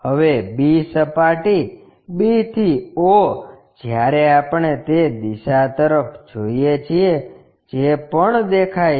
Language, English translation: Gujarati, Now, b surface b to o when we are looking from that direction that is also visible